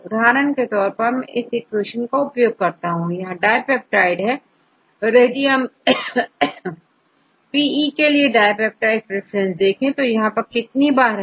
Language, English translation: Hindi, For example if we use this equation and I give a dipeptides see if you all for example, if you see dipeptide preference for PE how many times PE occurs here